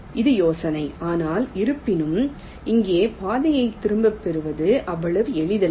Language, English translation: Tamil, but, however, here the path retracing is not so simple